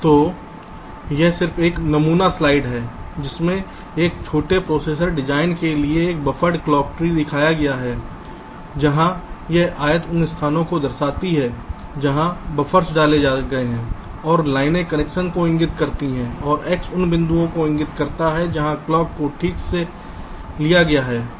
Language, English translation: Hindi, so this is just a sample slide showing a buffered clock tree in a small processor design, where this rectangles indicate the places where buffers have been inserted, ok, and the lines indicate the connections and the x indicates the points where the clock has been taken